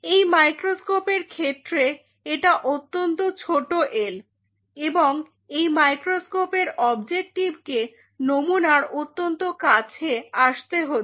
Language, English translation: Bengali, This l this micro microscope in this case if it is a very small l and this microscope objective has to come very close to the sample